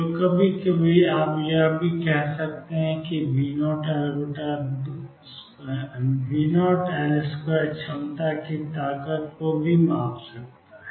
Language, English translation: Hindi, So, sometimes you also say that V naught L square measures the strength of the potential